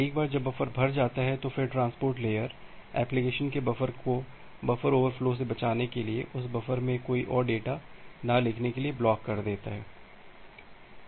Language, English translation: Hindi, Once the buffer gets filled up, so then the transport layer it blocks the application to write any more data in that buffer to avoid the buffer overflow from this transport layer buffer